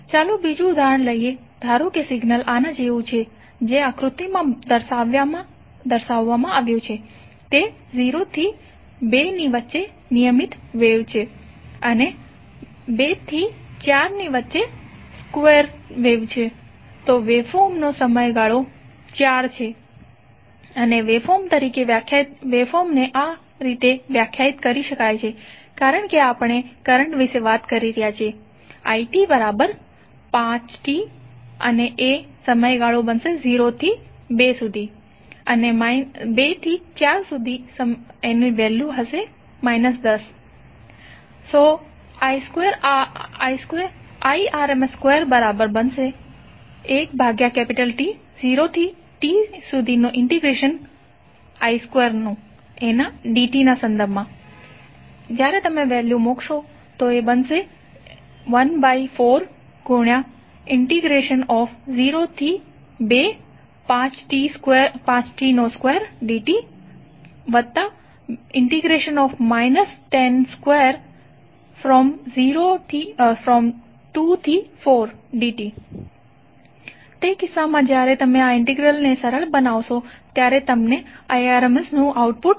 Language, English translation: Gujarati, Let’s take another example suppose the signal is like this which is shown in the figure between 0 to 2 it is regular wave and between 2 to 4 days square wave, so the period of the wave form is 4 and waveform can be defined as because we are talking about the current i, so it can be defined as 5t between 0 to 2 and minus 10 between 2 to 4, so how we can target rms value